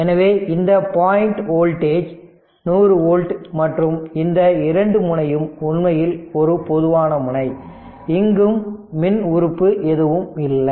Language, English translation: Tamil, So, this point voltage is 100 volt right and this 2 this this is actually a common node no electrical element is there